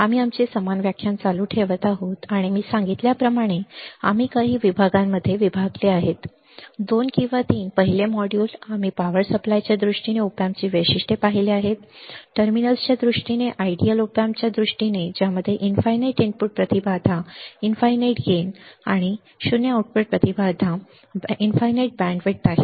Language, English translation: Marathi, So, we are continuing our same lecture and we have divided like I said into few modules; 2 or 3 first module, we have seen the characteristics of op amp in terms of power supply, in terms of the terminals, in terms of the ideal op amp which has infinite input impedance, infinite gain, 0 output impedance, infinite band width right